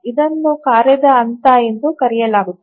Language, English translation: Kannada, So, this is called as the phase of the task